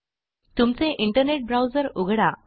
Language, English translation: Marathi, Open your internet browser